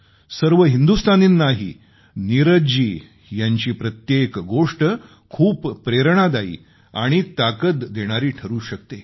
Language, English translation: Marathi, Every word of Neeraj ji's work can instill a lot of strength & inspiration in us Indians